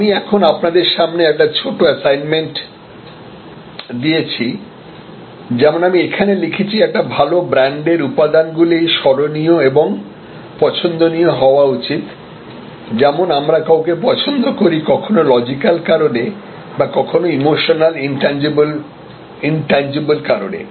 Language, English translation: Bengali, I have now, given a small assignment for you in front of you like I have written here the elements of a good brand should be memorable and likeable just as we like somebody for some logical reasons as well as for emotional reasons for intangible reasons